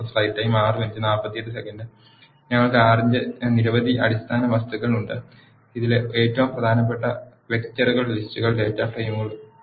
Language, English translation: Malayalam, We have several basic objects of R, in this the most important ones are; vectors, lists and data frames